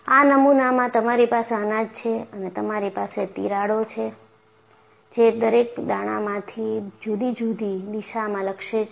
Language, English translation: Gujarati, So, this is the model you have grains, and you have a cracks, oriented at different directions in each of the grains